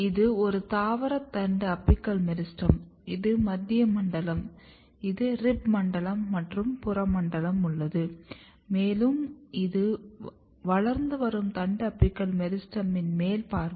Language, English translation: Tamil, This is just to recap that this is a vegetative shoot apical meristem and if you remember there is a central zone and then you have rib zone and you have peripheral zone, and this is the top view of a growing shoot apical meristem